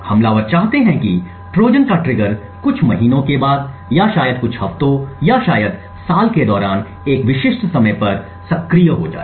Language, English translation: Hindi, The attacker want that the Trojan’s trigger gets activated may say after a few months a few weeks or maybe even a few years or maybe at a specific time during the year